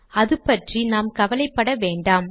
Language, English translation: Tamil, But let us not worry about this